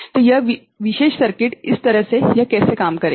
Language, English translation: Hindi, So, this particular circuit just like this